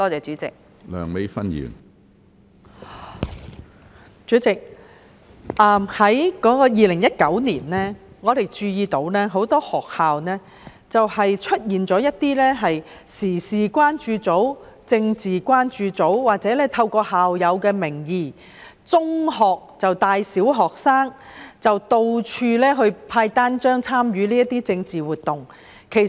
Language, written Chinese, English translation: Cantonese, 主席，我們注意到在2019年，很多學校出現了一些時事關注組、政治關注組，也有中學生借校友的名義帶小學生到處派發單張，參與政治活動。, President current affairs concern groups and political concern groups were noted to have mushroomed in schools in 2019 . Also some secondary students had in the name of alumni taken primary students around to distribute leaflets and participate in political activities